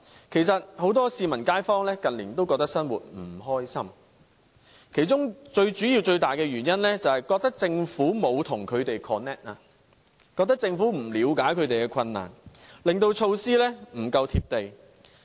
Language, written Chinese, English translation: Cantonese, 其實很多市民和街坊近年也覺得生活不愉快，其中最主要、最大的原因，便是覺得政府沒有與他們 connect， 覺得政府不了解他們的困難，令措施不夠"貼地"。, In fact many members of the community do not feel like leading a happy life mainly because of the sense that the Government has not connected with them . In their mind the Government introduces measures which lose touch with the public because it does not understand the peoples difficulties